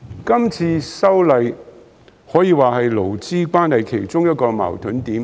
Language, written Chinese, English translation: Cantonese, 今次的修例可說是勞資關係其中一個矛盾點。, The current legislative amendment can be said to be one of the conflict points in labour relations